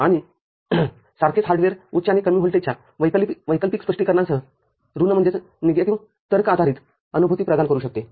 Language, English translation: Marathi, And same hardware can provide negative logic based realization with an alternate interpretation of high and low voltages